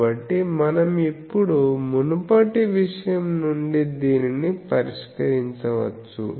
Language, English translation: Telugu, And so, we can now solve this from the earlier thing